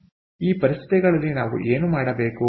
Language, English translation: Kannada, ok, so these conditions, what do we have to do